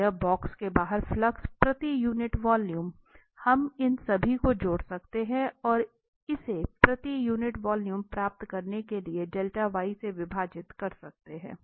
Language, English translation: Hindi, So, the flux per unit volume out of the box here, we can add all these and divide by this delta y to get this per unit volume